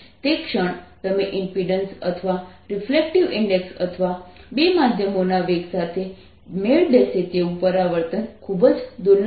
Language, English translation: Gujarati, the moment you match the impedance or refractive index or velocities of the two mediums